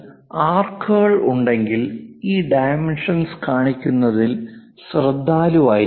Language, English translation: Malayalam, If there are arcs involved in that, one has to be careful in showing these dimensions